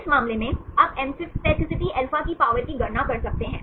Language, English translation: Hindi, For in this case, you can calculate the power of amphipathicity alpha